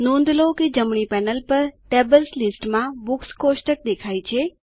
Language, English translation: Gujarati, Notice that the Books table appears in the Tables list on the right panel